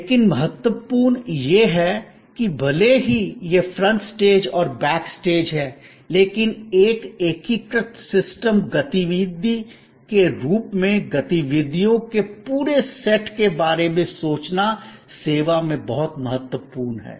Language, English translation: Hindi, But, important point is, that even though there is this front stage and the back stage, it is in service very important to think of the whole set of activities as one integrated system activity